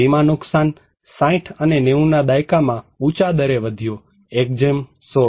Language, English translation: Gujarati, Insured loss increased at in higher rate in 60s and 90s; 1:16